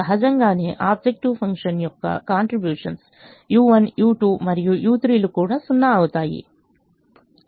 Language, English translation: Telugu, obviously the contributions of u one, u two and u three to the objective function is also zero